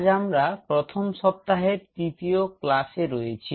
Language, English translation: Bengali, So, we are into Week 1 and today is our class 3